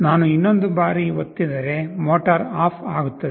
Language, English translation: Kannada, If I press another time, motor will turn off